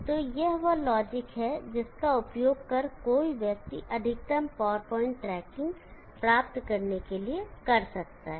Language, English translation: Hindi, So this is the login that one can use, for achieving maximum power point tracking